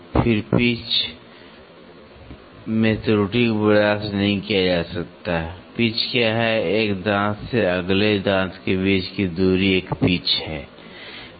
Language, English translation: Hindi, Then pitch error; error in the pitch cannot be tolerated, what is pitch, the distance between one teeth to the next teeth is a pitch, right